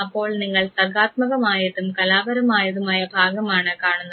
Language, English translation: Malayalam, So, basically you look at the creative and the art part